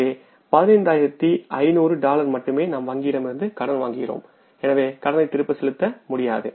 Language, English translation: Tamil, So it means we are only borrowing from the bank that is worth of $15,500